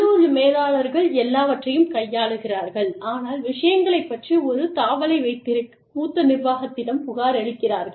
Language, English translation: Tamil, Local managers handle everything, but report to senior management, to keep a tab on things